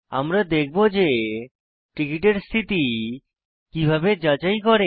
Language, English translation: Bengali, We will see how to check the status of tickets